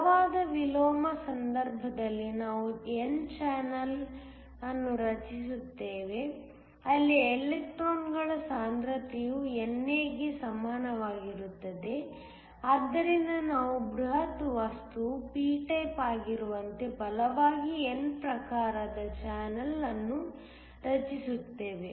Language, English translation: Kannada, In the case of strong inversion we create an n channel, where the concentration of electrons is equal to NA, so that we create a channel that is as strongly n type as the bulk material is p type